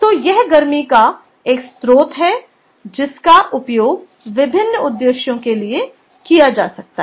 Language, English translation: Hindi, ok, so its a, its a source of heat that can be used for various purposes, all right, so, ah